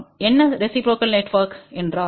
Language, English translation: Tamil, What reciprocal network means